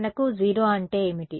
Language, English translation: Telugu, We had the 0